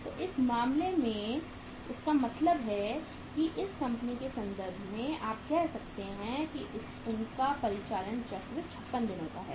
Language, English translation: Hindi, So it means in this case in this company’s case if you talk about this company or this company’s case you can say that their operating cycle is of 56 days